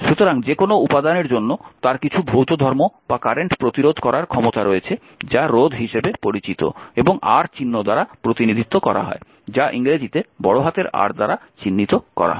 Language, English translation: Bengali, So, that for any material, right it has some physical property or ability to resist current is known as resistance and is represented by the symbol R, capital R these the symbol R